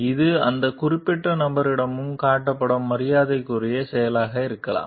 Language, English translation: Tamil, It could be an act of respect also shown to that particular person